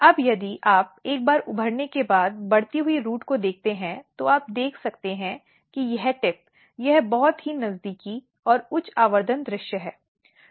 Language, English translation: Hindi, Now, if you look the growing root once it is emerged and you can see this tip this is the very closer and high magnification view